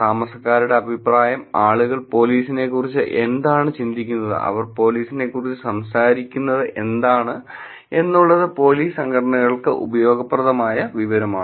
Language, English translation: Malayalam, And residents' opinion, of course, what people think about police, what are they talking about police is also useful information for police organizations